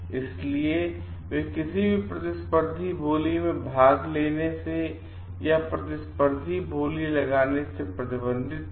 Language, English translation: Hindi, So, they were restricted from doing any competitive bidding a participating in competitive bidding